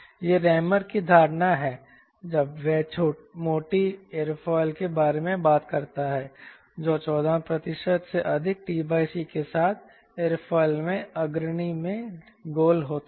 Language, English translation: Hindi, this is the perception of ramon when he talks about fact which are rounded in the leading in aerofoil with t by c greater than fourteen percent